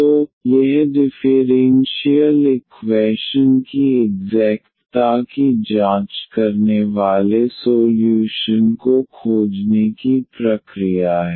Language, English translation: Hindi, So, that is the process for finding the solution checking the exactness of the differential equation